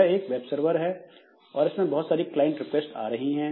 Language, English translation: Hindi, And to this web server, so we have got several client requests that are coming